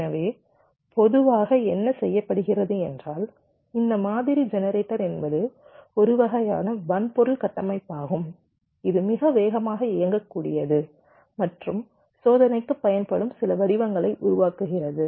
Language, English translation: Tamil, so typically what is done, this pattern generator, is some kind of a hardware structure which can run very fast and generate some patterns which will be use for testing